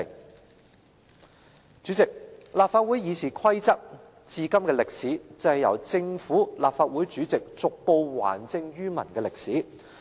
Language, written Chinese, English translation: Cantonese, 代理主席，立法會《議事規則》迄今的歷史，便是由政府、立法會主席逐步還政於民的歷史。, Deputy President the history of RoP is basically a history of returning political power from the Government and the President to the people